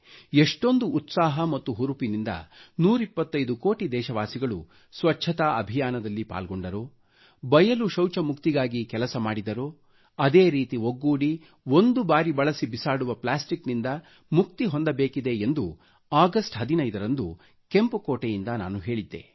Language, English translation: Kannada, On 15th August, I had urged you from the Red Fort…the way one hundred & twenty five crore countrymen ran a campaign for cleanliness with utmost enthusiasm and energy, and toiled tirelessly towards freedom from open defecation; in a similar manner, we have to join hands in curbing 'single use plastic'